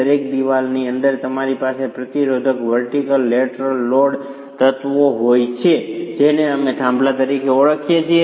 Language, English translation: Gujarati, Within each wall you have resisting vertical lateral load elements which we are referring to as peers